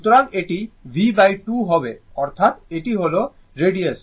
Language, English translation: Bengali, So, it will be b by 2 that is, it is b by 2 means the radius, right